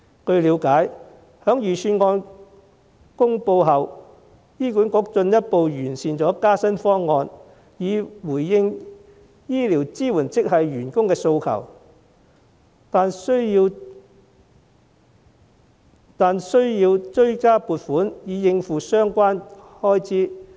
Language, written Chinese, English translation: Cantonese, 據了解，在預算案公布後，醫管局進一步完善加薪方案，以回應醫療支援職系員工的訴求，但需要追加撥款以應付相關開支。, As far as I know following the release of the Budget HA has further optimized the proposal for pay increase in response to the aspirations of supporting health care staff but supplementary provisions will be needed to meet the relevant expenditure